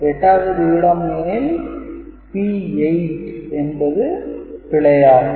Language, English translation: Tamil, So, if it is 8th position then P 8 is erroneous; P 8 is erroneous